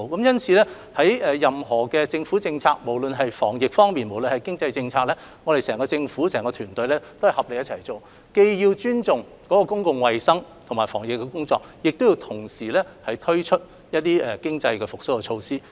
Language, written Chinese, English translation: Cantonese, 因此，任何政府政策，不論是防疫工作還是經濟政策，整個政府團隊均須合力進行，既尊重公共衞生和防疫需要，亦要推出經濟復蘇措施。, Hence when adopting any government policy be it formulated on epidemic prevention or economic affairs the entire government team must join efforts to address the need to ensure public health and prevent the spread of the epidemic while introduce economic recovery measures at the same time